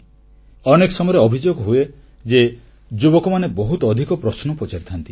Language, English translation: Odia, There is a general complaint that the younger generation asks too many questions